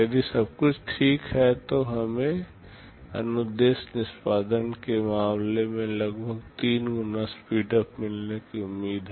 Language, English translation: Hindi, If everything else is fine, we are expected to get about 3 times speedup in terms of instruction execution